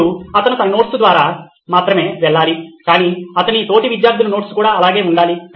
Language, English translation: Telugu, Now he has to go through not his notes alone, but all his classmates’ notes as well